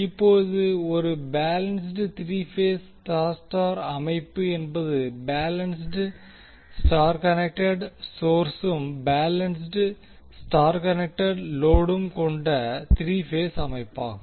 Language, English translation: Tamil, Now a balanced three phase Y Y system is a three phase system with a balance Y connected source and a balanced Y connected load